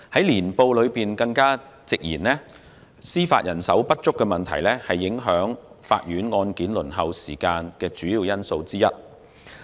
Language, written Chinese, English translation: Cantonese, 《年報》更直言，司法人手不足問題是影響法院案件輪候時間的主要因素之一。, The Annual Report has even directly stated that the shortfall in judicial manpower is one of the major factors affecting the court waiting times